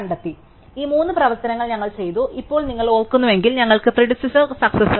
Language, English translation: Malayalam, So, these three operations we have done, now if you remember we have do predecessor and successor